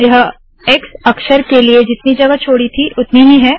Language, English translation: Hindi, That is the space equivalent of the x character